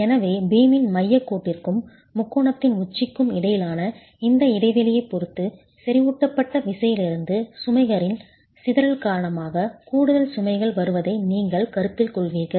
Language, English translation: Tamil, So depending on this gap between the center line of the beam and the apex of the triangle, you will consider additional loads coming because of the dispersion of the loads from the concentrated force